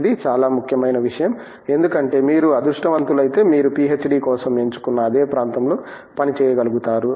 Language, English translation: Telugu, That is a very important thing because if you are lucky you manage to work in the same vertical area that you choose for a PhD